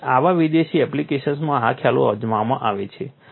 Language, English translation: Gujarati, So, in such exotic applications these concepts are tried